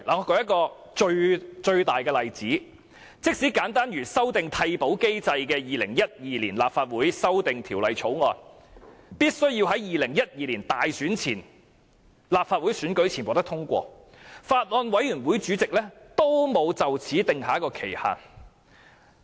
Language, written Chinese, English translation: Cantonese, 我舉例說明，即使修訂替補機制的《2012年立法會條例草案》，必須在2012年立法會選舉前獲得通過，有關法案委員會的主席仍沒有訂定審議限期。, For instance even when the Legislative Council Amendment Bill 2012 on the by - election mechanism ought to be passed before the Legislative Council Election in 2012 the Chairman of the Bills Committee concerned had not set a time limit for the deliberation